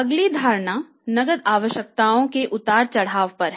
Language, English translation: Hindi, Then cash requirements fluctuate